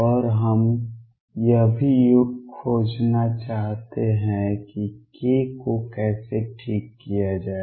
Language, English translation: Hindi, And also we want to find how to fix k